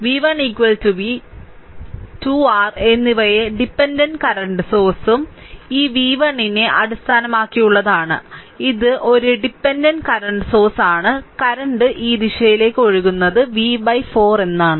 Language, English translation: Malayalam, So, v 1 is equal to v and 2 your dependent current sources are there based on this v 1 is this is one dependent current source, current is flowing this direction is v by 4